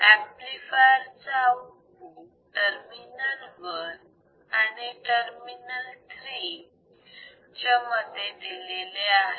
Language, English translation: Marathi, The output of the amplifier is applied between terminals 1 and terminal 3